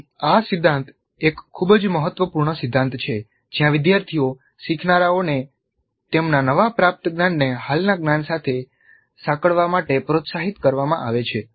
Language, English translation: Gujarati, So this principle is a very important principle where the students, the learners are encouraged to integrate their newly acquired knowledge with the existing knowledge